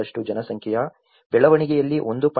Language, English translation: Kannada, 3% of population growth, 1